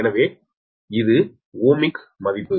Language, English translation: Tamil, so this is the ohmic value